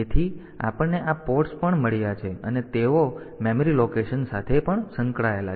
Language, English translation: Gujarati, So, we have got these ports also they are they are also associated in memory location